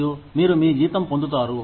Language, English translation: Telugu, And, you say, you just get your salary